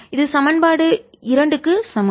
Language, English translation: Tamil, this is my equation two